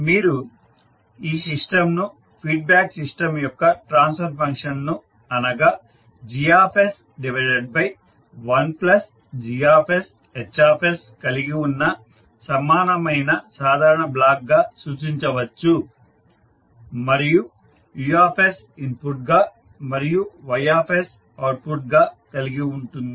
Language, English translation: Telugu, So you can equivalently represent this system as the simple block having the transfer function of the feedback system that is Gs upon 1 plus Gs Hs and the Us as input and Ys as the output